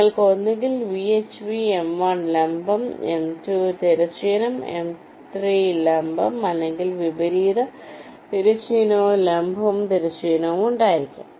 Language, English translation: Malayalam, like you can have either v, h v, vertical on m one, horizontal on m two, vertical on m three, or the reverse: horizontal, vertical, horizontal